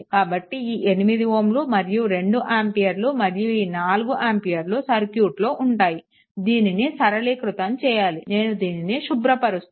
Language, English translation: Telugu, This 8 ohm is written and this 2 ampere is written and this 4 ampere is written say right, so that means, further simplification then you clear it right